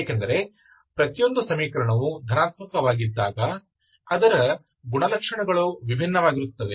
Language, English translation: Kannada, Because each equation when it is, when it is positive, its characteristic, characteristics are different, okay